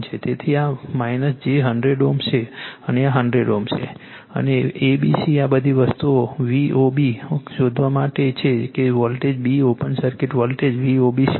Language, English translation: Gujarati, So, this is minus j 100 ohm this is one 100 ohm and A B C all these things are given you have to find out V O B that what is the voltage b open circuit voltage V O B